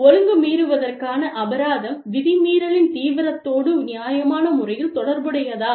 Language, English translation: Tamil, Was the disciplinary penalty, reasonably related to the seriousness of the rule violation